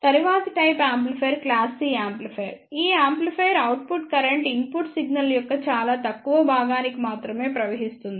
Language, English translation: Telugu, The next type of amplifier is class C amplifier, in this amplifier output current flows for only very small portion of the input signal